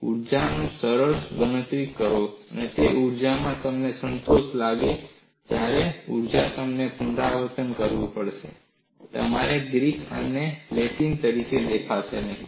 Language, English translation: Gujarati, See, if you do the simple calculation, in the class you feel satisfied, and also when you have to revise, it will not appear as Greek and Latin